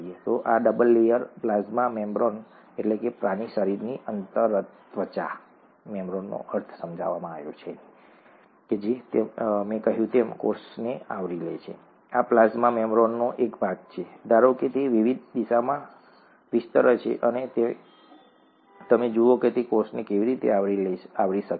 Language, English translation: Gujarati, So this is the double layer plasma membrane as I said, it covers the cell, this is a part of the plasma membrane, assume that it is extending in various directions, and you see how it can cover the cell